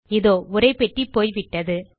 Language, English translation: Tamil, There, we have removed the text box